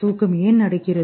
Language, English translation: Tamil, What is sleep